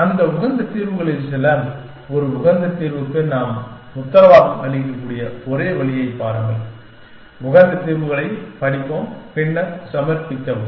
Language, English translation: Tamil, Some of those optimal solutions, see the only way we can guarantee an optimal solution and we will study optimal solutions, sub it later